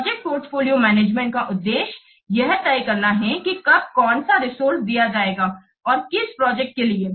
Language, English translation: Hindi, So project portfolio management, MSSART deciding which resource will be given when and to which project